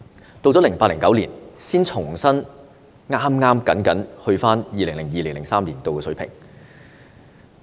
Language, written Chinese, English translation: Cantonese, 到了 2008-2009 年度，才重新僅僅返回 2002-2003 年度的水平。, It was not until 2008 - 2009 that the funding was restored merely to the level in 2002 - 2003